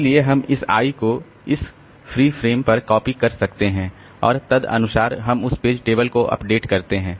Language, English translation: Hindi, So, we can just copy this eye onto this free frame and accordingly we update the page table